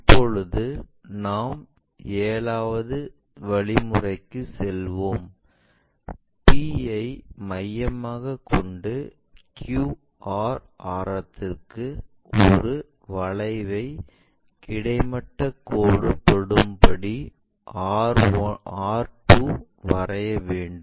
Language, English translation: Tamil, Now, we will move on to seventh point; where we have to draw an arc with center q and radius q r that is from q r radius to meet horizontal line at r2